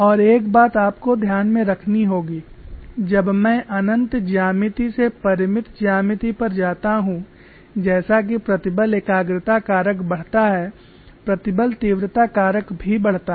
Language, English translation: Hindi, One thing you have to keep in mind is when going from infinite geometry to finite geometry as the stress concentration factor increases stress intensity factor also increases